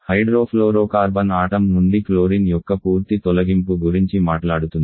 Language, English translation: Telugu, Hydrofluorocarbon talks about the removal of complete removal of chlorine from the molecule